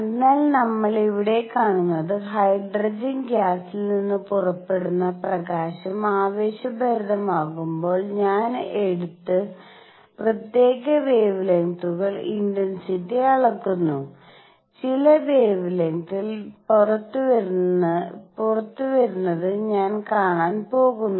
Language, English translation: Malayalam, So, what we are seeing here is that suppose, I take the light coming out of hydrogen gas when it is excited and measure the intensity of particular wavelengths, I am going to see certain wavelengths coming out